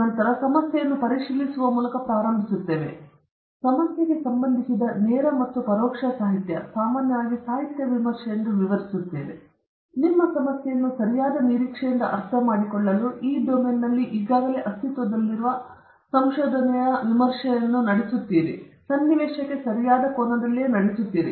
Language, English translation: Kannada, Then we will start with examining the problem, and the direct and indirect literature related to the problem, which we normally describe as literature review or you conduct a review of the already existing research in this domain to understand your problem from a right prospective, and also to situate in the correct angle